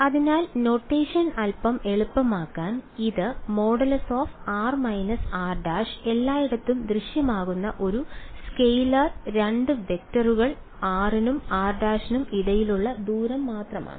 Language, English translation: Malayalam, So, just to make the notation a little bit easier this r minus r prime that appears everywhere it is a scalar is just a distance is the distance between 2 vectors r and r prime